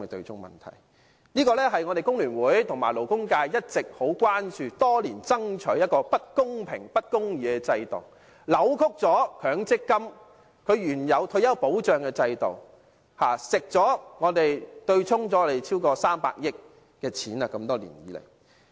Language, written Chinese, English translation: Cantonese, 這問題是工聯會和勞工界一直很關注的，我們多年來爭取取消這不公平、不公義的制度，因為它扭曲了強積金的退休保障原意，多年來對沖了超過300億元，這些都是工人的金錢。, This issue has long been the concern of FTU and the labour sector . For many years we have been striving to abolish this unfair and unjust system as it has distorted the original meaning of retirement protection under MPF . Over the years more than 30 billion have been offset and all this is the workers money